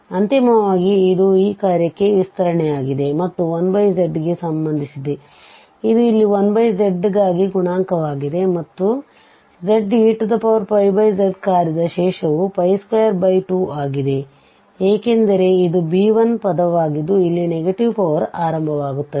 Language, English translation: Kannada, So, finally this is the expansion for this given function and as far as this 1 over z is concerned this is the coefficient here for 1 over z and therefore the residue of this function z e power Pi z is Pi square by 2 because this is going to be the b1 term the first term where the negative power starts